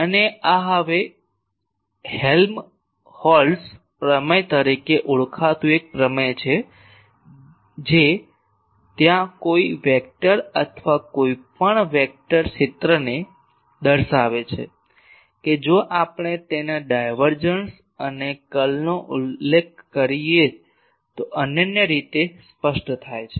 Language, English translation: Gujarati, And this one now there is a theorem called Helmholtz theorem which state there any vector or any vector field that gets uniquely specify, if we specify its divergence and curl